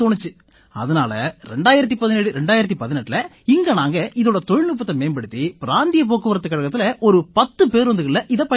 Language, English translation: Tamil, So, in 201718 we developed its technology and used it in 10 buses of the Regional Transport Corporation